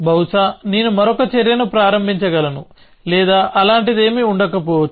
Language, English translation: Telugu, May be I can start another action or no something like that